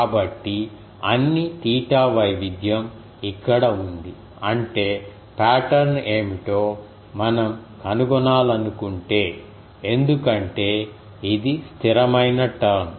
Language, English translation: Telugu, So, so all the theta variation is here; that means, if we want to find what is the pattern, because this is a constant term